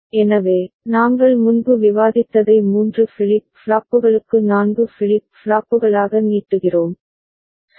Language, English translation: Tamil, So, extending what we had discussed before, for three flip flops to four flips flops, right